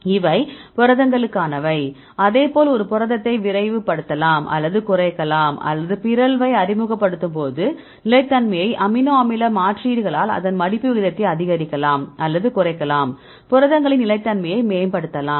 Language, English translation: Tamil, These are for the proteins likewise you can also accelerate or decelerate the protein or increase or decrease the folding rate right by amino acid substitutions like what we discussed about the stability right when introducing a mutation; we can enhance the stability of proteins right